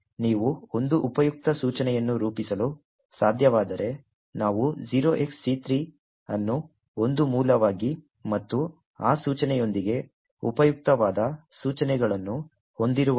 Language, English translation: Kannada, So, if you are able to form a useful instruction, we create a tree with c3 as the root and that useful instructions as children of that root